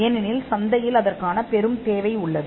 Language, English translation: Tamil, Because there is a great demand in the market